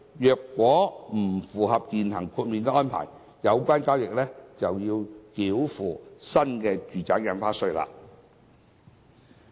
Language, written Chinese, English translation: Cantonese, 如果不符合現行豁免安排，有關交易就要繳付新住宅印花稅。, If the existing exemption arrangements are not complied with the transaction is subject to payment of NRSD